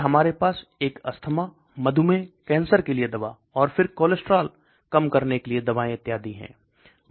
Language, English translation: Hindi, Then we have a drug for asthma, diabetes, cancer, so several drugs for cancer, and then cholesterol lowering drugs and so on